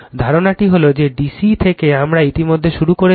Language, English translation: Bengali, Concept is from that D C we have already started